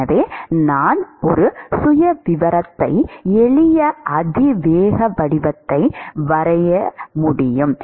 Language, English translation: Tamil, So, I could draw a profile, simple exponential form